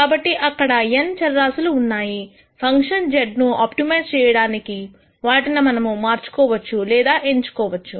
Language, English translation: Telugu, So, there are n variables that we could manipulate or choose to optimize this function z